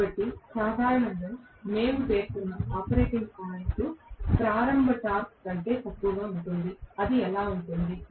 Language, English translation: Telugu, So, generally the operating point what we specify will be less than the starting torque invariably that is how it will be